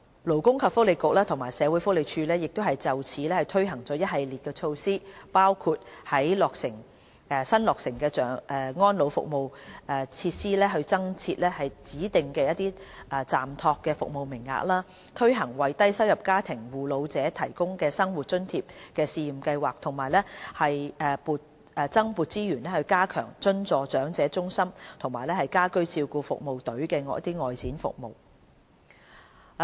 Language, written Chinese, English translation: Cantonese, 勞工及福利局和社會福利署就此推行了一系列措施，包括在新落成的安老服務設施增設指定暫託服務名額、推行為低收入家庭護老者提供生活津貼試驗計劃，以及增撥資源加強津助長者中心及家居照顧服務隊的外展服務等。, The Labour and Welfare Bureau and the Social Welfare Department have introduced a number of support measures including designating additional respite places in newly established elderly service facilities launching the Pilot Scheme on Living Allowance for Carers of Elderly Persons from Low Income Families and providing additional resources to strengthen the outreach services of the subvented elderly centres and home care services teams